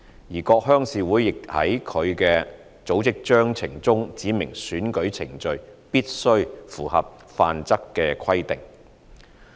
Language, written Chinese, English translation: Cantonese, 而各鄉事會亦在其組織章程中指明選舉程序必須符合《範則》的規定。, All RCs set out in their respective Constitutions that the election proceedings specified therein must conform to the Model Rules